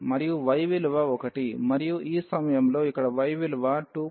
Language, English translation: Telugu, And also the value of y is 1 and at this point here the value of y is 2